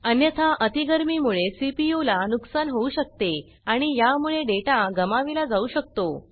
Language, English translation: Marathi, Otherwise, overheating can cause damage to the CPU, often leading to data loss